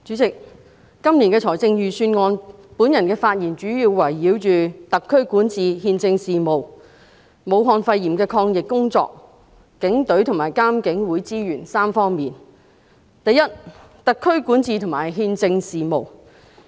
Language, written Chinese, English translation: Cantonese, 主席，關於今年的財政預算案，我的發言主要圍繞特區管治和憲政事務，武漢肺炎的抗疫工作，以及警隊和獨立監察警方處理投訴委員會的資源3方面。, President regarding the Budget this year my speech will mainly focus on three aspects namely governance and constitutional affairs of the Hong Kong Special Administrative Region SAR; efforts in fighting the Wuhan pneumonia and resources for the Hong Kong Police Force and the Independent Police Complaints Council